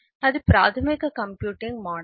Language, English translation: Telugu, what is the computing model